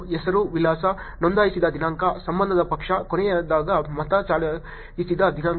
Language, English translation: Kannada, Name, address, date registered, party of affiliation, date last voted